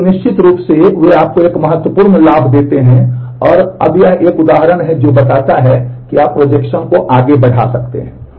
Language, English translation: Hindi, And then certainly they give you a significant advantage and now this is an example which show that you can push the projection